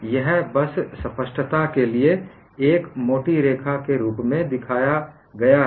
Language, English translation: Hindi, This is shown as a thick line just for clarity